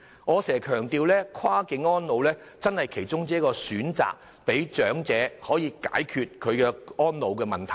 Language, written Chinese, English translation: Cantonese, 我經常強調跨境安老是其中一個選擇，讓長者可以解決安老問題。, As I have often emphasized cross - boundary elderly care is one of the options for addressing the needs of elderly persons in this respect